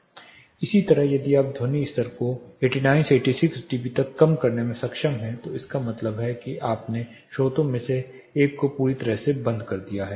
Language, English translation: Hindi, Similarly, if you are able to reduce the sound level from 89 to 86 dB it means that you have totally turned off one of the sources